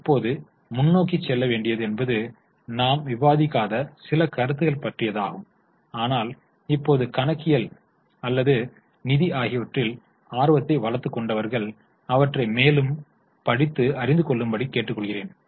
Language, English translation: Tamil, Now, going ahead, there can be a few concepts which we have not discussed, but those who have developed interest now in accounting or in finance, I would request you to study them further